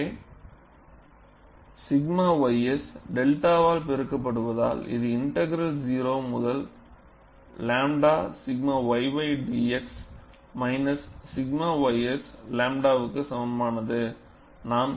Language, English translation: Tamil, So, sigma ys multiplied by delta is equal to, integral 0 to lambda sigma y by dx, minus sigma ys lambda